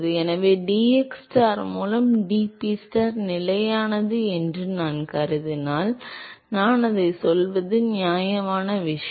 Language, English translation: Tamil, So, supposing if I assume that dPstar by dxstar is constant, it is a fair thing to say